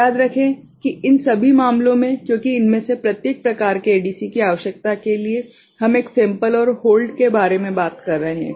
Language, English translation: Hindi, Remember that in all these cases because of this requirement for each of these ADC type we are talking about a sample and hold